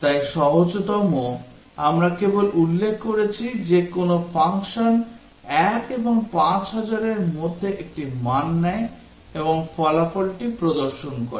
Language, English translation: Bengali, So the simplest one, we just specify that a function takes a value between 1 and 5000 and displays the result